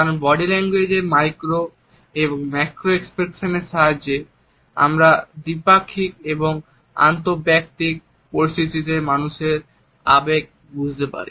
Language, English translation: Bengali, Because it is with the help of the micro and macro expressions of body language that we can comprehend the attitudes and emotions of people in dietetic as well as in interpersonal situations